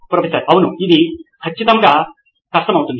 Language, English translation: Telugu, Yes, that will definitely be difficult